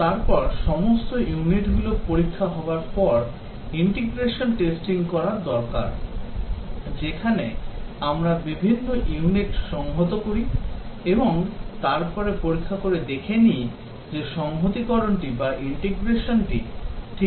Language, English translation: Bengali, Then after all the units have been tested need to do the Integration testing, where we integrate the different units and then test if the integration they are working all right